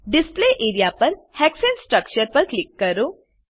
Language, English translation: Gujarati, Click on the Hexane structure on the Display area